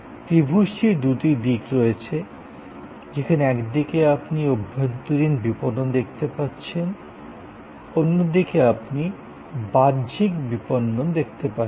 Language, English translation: Bengali, There are two sides of the triangle, where on one side you see internal marketing on the other side you see external marketing